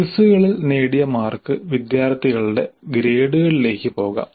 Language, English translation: Malayalam, The quizzes, the mars scored in the quizzes can go towards the grades of the students